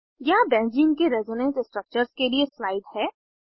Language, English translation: Hindi, Here is slide for the Resonance Structures of Benzene